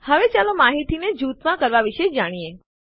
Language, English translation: Gujarati, Now let us learn about grouping information